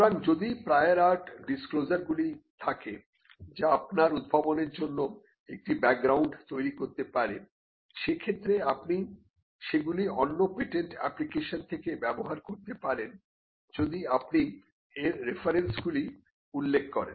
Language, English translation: Bengali, So, if there are prior art disclosures which forms a background for your invention, you could just use them from other patent applications, provided you give the references to it